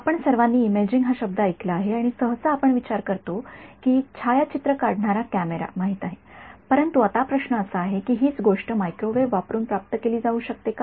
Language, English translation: Marathi, We have all heard the word imaging and usually we think of you know a camera taking photographs, but now the question is can the same thing sort of be achieved using microwaves